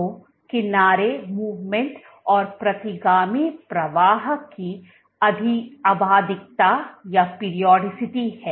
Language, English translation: Hindi, So, there is a periodicity of edge movement and retrograde flow